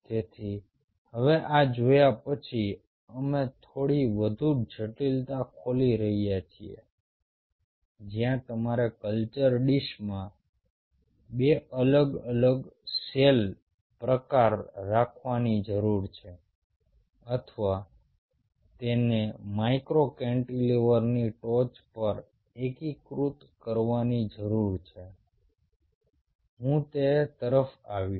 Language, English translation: Gujarati, so having seen this, now we are opening a little bit more complexity where you needed to have two different cell type in a culture dish or integrate it on top of a micro cantilever